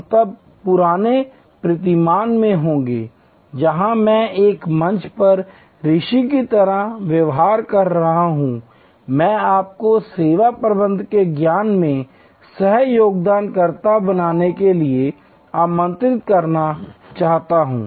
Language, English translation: Hindi, We will then be in the old paradigm, where I am behaving like a sage on a stage, I would like to invite you to be a co contributor to the knowledge of service management